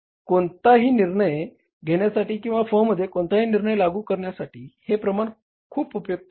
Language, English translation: Marathi, This ratio is very very helpful, very useful to take any decision or to implement any decision in the firm